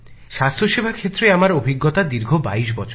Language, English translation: Bengali, My experience in health sector is of 22 years